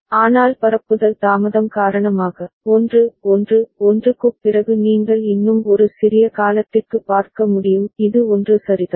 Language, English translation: Tamil, But because of the propagation delay all right, after 1 1 1 you can see for a small duration it still remains is remaining at 1 ok